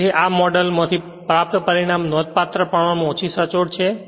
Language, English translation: Gujarati, So, therefore, the result obtained by this model are considerably less accurate right